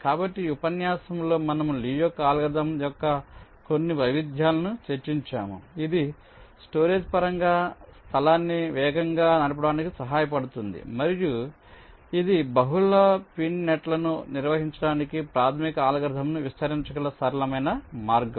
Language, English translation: Telugu, so i think, ah, in this lecture we have discussed ah, some of the variations of lees algorithm which can help it to save space in terms of storage, to run faster, and also some simple way in which you can extend the basic algorithm to handle multi pin nets